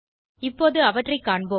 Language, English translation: Tamil, We will see them now